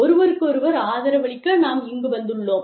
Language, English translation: Tamil, We are here, to support, each other